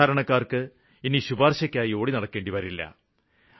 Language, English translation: Malayalam, Now the poor will not have to run for recommendation